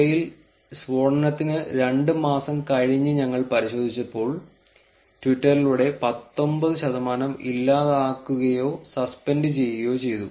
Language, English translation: Malayalam, And out of these, 19 percent were deleted or suspended by twitter when we checked 2 months after the blast